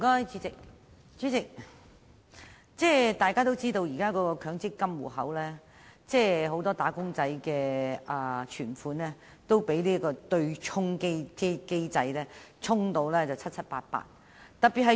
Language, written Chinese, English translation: Cantonese, 主席，現時很多"打工仔"的強制性公積金戶口存款都被對沖機制"沖"得七七八八。, President at present many wage earners are seeing the accrued benefits in their Mandatory Provident Fund MPF accounts almost eroded completely as a result of the offsetting mechanism